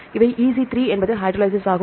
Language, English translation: Tamil, this is EC3 is hydrolase; 3